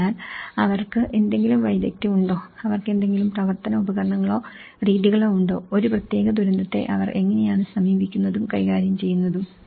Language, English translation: Malayalam, So, do they have any skills, do they have any operational tools or methods, how they approach and tackle a particular disaster